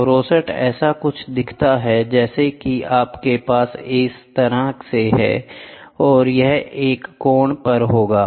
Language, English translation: Hindi, So, rosette is it looks something like you have this way and this way will be at an angle